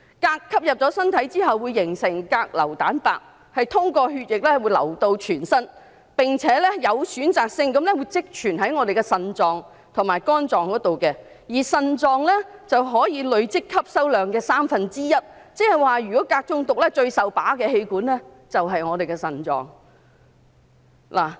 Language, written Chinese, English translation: Cantonese, 鎘進入身體後，會形成鎘硫蛋白，通過血液到達全身，並且有選擇性地積存於腎臟和肝臟，而腎臟可以累積鎘吸收量的三分之一，也就是說如果鎘中毒，最受損害的器官便是腎臟。, Absorption of cadmium into human body will lead to formation of cadmium - binding protein which will be carried to all parts of the body through the blood and selectively accumulated in the kidneys and liver and the kidneys can accumulate one third of the cadmium intake . In other words cadmium poisoning will damage the kidneys most